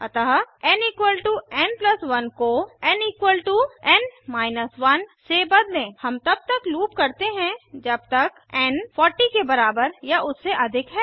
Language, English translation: Hindi, So Change n = n + 1 to n = n 1 We loop as long as n is greater than or equal to 40